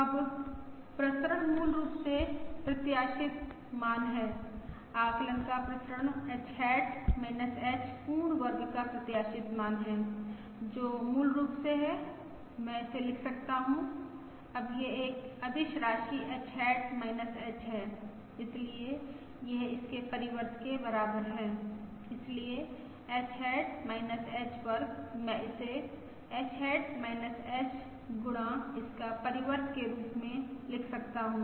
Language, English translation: Hindi, Now the variance is basically the expected value of the variance of the estimate is expected value of H hat minus H whole square, which is basically I can write this now this is a scalar quantity H hat minus H, so this is equal to its transpose